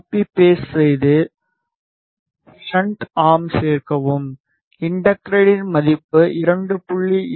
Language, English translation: Tamil, Copy paste add the shuntum, inductance value is 2